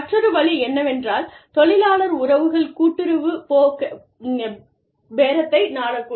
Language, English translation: Tamil, The other way, in which, the labor relations can be approached is, collective bargaining